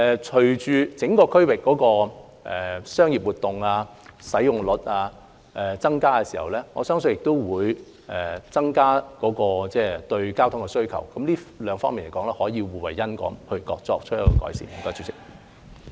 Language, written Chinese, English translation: Cantonese, 隨着整個區域的商業活動及使用率增加，我相信也會增加對交通的需求，這兩方面可以互惠互利，從而改善情況。, I believe with more commercial activities and better utilization of the whole area the demand for transportation services will also increase . These two aspects can be mutually beneficial thus improving the situation